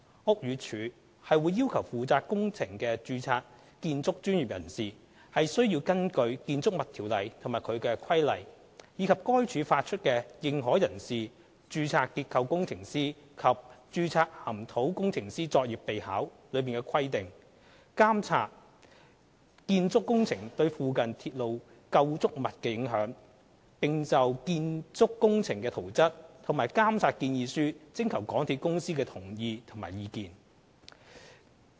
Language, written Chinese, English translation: Cantonese, 屋宇署會要求負責工程的註冊建築專業人士須根據《建築物條例》及其規例，以及該署發出的《認可人士、註冊結構工程師及註冊岩土工程師作業備考》的規定，監測建築工程對附近鐵路構築物的影響，並就建築工程的圖則及監察建議書徵求香港鐵路有限公司的同意及意見。, BD would require the registered building professionals to monitor the effect arising from the building works to the adjacent railway structures according to the requirements set out in BO and its subsidiary regulations and the issued Practice Note for Authorized Persons Registered Structural Engineers and Registered Geotechnical Engineers PNAP . Agreement and comments of the MTR Corporation Limited MTRCL have to be sought for the plans of the proposed works and the monitoring proposal